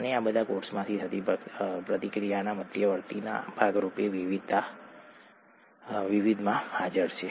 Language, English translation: Gujarati, And these are all present in the various, as a part of the reaction intermediates that happen in the cell